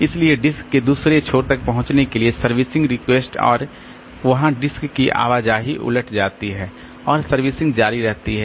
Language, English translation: Hindi, So, servicing request until it gets to the other end of the disk and there the disk movement is reversed and servicing continues